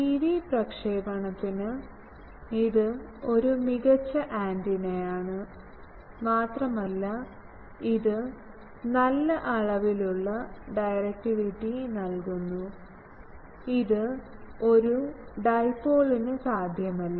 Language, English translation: Malayalam, For TV transmission, this is an excellent a antenna and it gives good amount of directivity, which was not possible for a single dipole